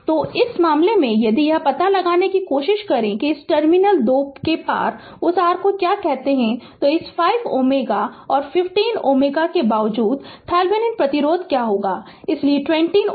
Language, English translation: Hindi, So, in this case if you try to find out your what you call that your that your across these this 2 terminal, what will be the thevenin resistance though this 5 ohm and 15 ohm so, 20 ohm